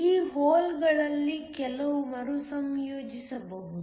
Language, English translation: Kannada, Some of these holes can get recombined